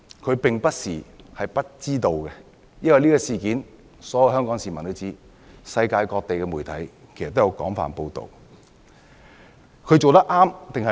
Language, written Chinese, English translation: Cantonese, 他並不是不知道，因為所有香港市民都知道這事，世界各地的媒體也有廣泛報道。, Mr MALLET could not possibly be unaware of that matter because all Hong Kong people are aware of the matter and the matter has been extensively reported by the media around the world